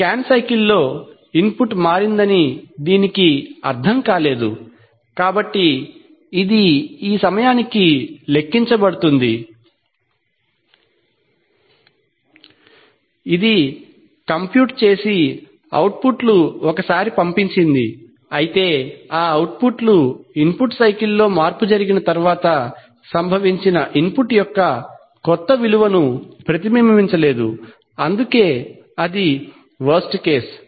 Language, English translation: Telugu, In this scan cycle it could, it did not sense that the input has changed, so therefore it computed, by this time, it had computed and sent out the outputs once, but however those outputs did not reflect the new value of input which occurred just after the input in the cycle took place, so that is why it is the worst case